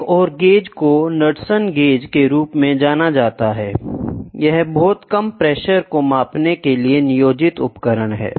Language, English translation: Hindi, The, another one another gauge is called as Knudsen gauge, it is a device employed to measure very low pressures